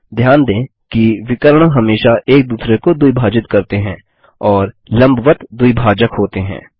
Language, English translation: Hindi, Notice that the diagonals always bisect each other and are perpendicular bisectors